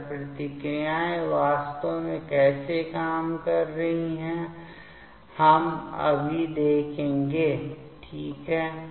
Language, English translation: Hindi, So, how this reactions are actually working that we will see now ok